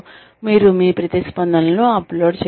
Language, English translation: Telugu, You could upload your responses